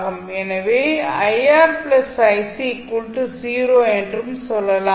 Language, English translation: Tamil, So, in this case what we can say